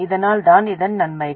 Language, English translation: Tamil, So that is the advantage of this